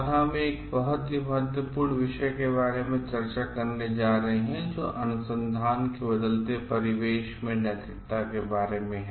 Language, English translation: Hindi, Today we are going to discuss about a very important topic which is about ethics in changing domain of research